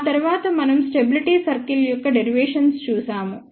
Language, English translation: Telugu, After that we looked at derivation of the stability circles